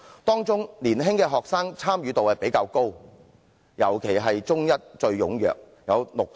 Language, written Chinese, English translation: Cantonese, 當中年青學生的參與度較高，尤其以中一學生最為踴躍，參與度達六成。, Among them younger students showed a higher rate of participation especially Form One students who were the most active with up to 60 % of participation